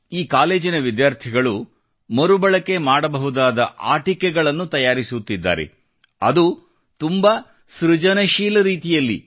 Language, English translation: Kannada, Students of this college are making Reusable Toys, that too in a very creative manner